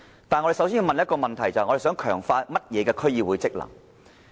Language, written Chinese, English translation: Cantonese, 就此，我們要先問一個問題，就是要強化甚麼的區議會職能。, In this connection we must first ask the following question What are the functions of DCs to be strengthened?